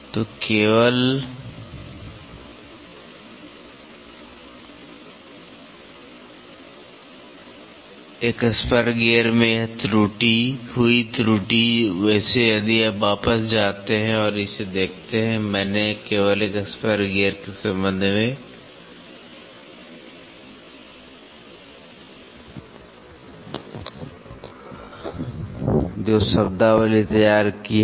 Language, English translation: Hindi, So, the error which happened in a spur gear, by the way if you go back and see this the terminologies I have drawn with respect to only spur gear